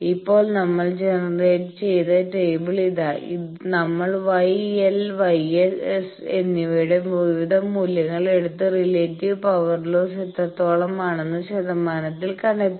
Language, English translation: Malayalam, Now, here is a table from that actually we have generated this table that we have taken various values of gamma L and gamma S and found out that how much is the relative power lost in percentage